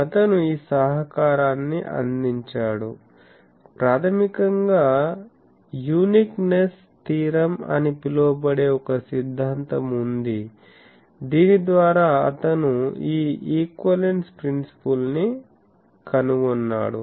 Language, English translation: Telugu, He made this contribution basically there is a theorem called uniqueness theorem by which he found out this equivalence principle